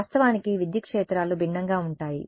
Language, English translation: Telugu, Of course, the electric fields are different